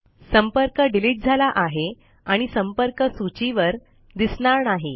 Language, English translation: Marathi, The contact is deleted and is no longer displayed on the contact list